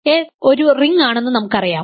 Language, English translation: Malayalam, We already know by 1 that S is a ring